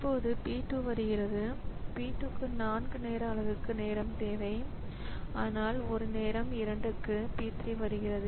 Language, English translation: Tamil, Now p 2 comes so p 2 needs time for 4 time unit but at time 2 at time 2 at time 2 p 3 comes